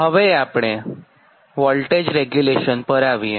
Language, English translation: Gujarati, next you come to the voltage regulation, right